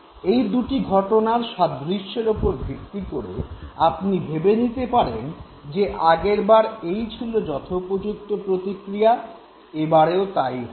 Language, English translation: Bengali, And based on the similarity between the two situations, you decide last time this was the appropriate response, therefore this time also this is the appropriate response